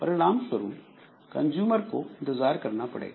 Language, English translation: Hindi, So, as a result, the consumer should be made to wait